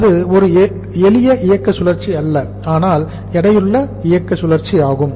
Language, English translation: Tamil, It is not a simple operating cycle but the weighted operating cycle